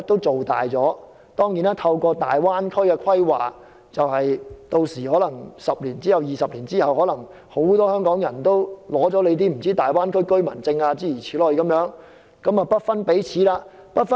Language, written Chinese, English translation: Cantonese, 此外，透過大灣區規劃 ，10 年、20年之後，很多香港人可能已取得大灣區居民證，跟國內同胞不分彼此了。, Moreover through the planning for the Greater Bay Area many Hong Kong people may obtain the Greater Bay Area resident certificate 10 to 20 years later and they will be no different from their compatriots in the Mainland